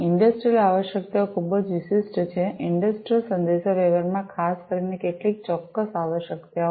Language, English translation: Gujarati, Industrial requirements are very specific, industrial communication particularly has certain specific requirements